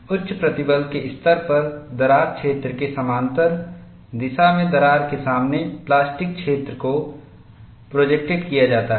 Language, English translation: Hindi, At high stress levels, the plastic zone is projected in front of the crack in the direction parallel to the crack plane